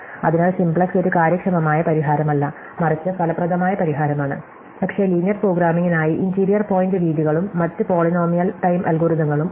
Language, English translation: Malayalam, So, simplex is not an efficient solution, but an effective solution, but there are interior point methods and other polynomial time algorithms for linear programming